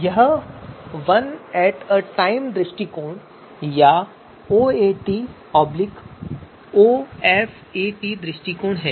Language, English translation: Hindi, This is one at a time approach or OAT or OFAT approach